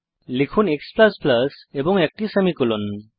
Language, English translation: Bengali, Type x++ and a semicolon